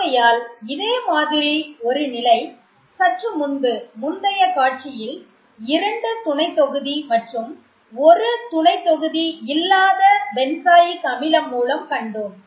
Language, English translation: Tamil, So similar to the case that we just saw in the previous slide with two substituents and unsubstituted benzoic acid